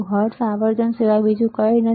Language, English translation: Gujarati, Hertz is nothing but frequency right